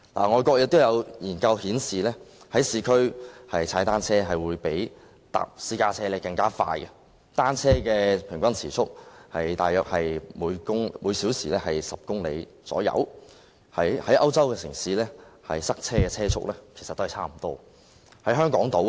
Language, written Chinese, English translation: Cantonese, 外國有研究顯示，在市區踏單車會比乘搭私家車更快，單車的平均時速大約是每小時10公里，與在歐洲城市塞車時的車速差不多。, Research conducted in overseas countries shows that cycling is faster than taking a car in the urban areas . The average speed of cycling is about 10 kph which is about the same as the vehicular speed during traffic congestion in the European cities